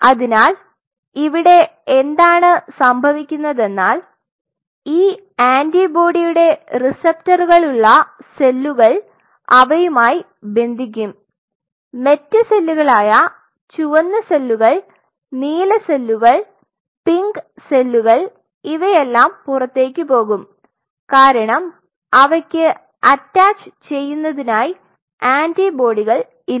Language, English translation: Malayalam, So, what will happen the cells if they are having the receptors for this particular thing they will go and bind and other cells which are the red cells blue cells pink cells they all will be moved out because they do not have an attaching antibody to it right